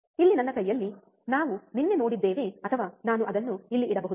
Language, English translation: Kannada, In my hand here, that we have seen yesterday or I can keep it here